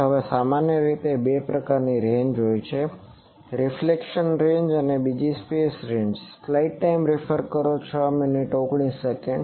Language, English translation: Gujarati, Now, in general there are two types of ranges one is reflection ranges, another is the free space ranges